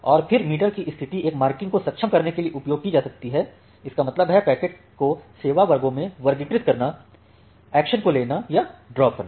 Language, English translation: Hindi, And the state of the meter may then be used to enable a marking; that means, classifying your packet in one of the service classes, shaping or dropping the action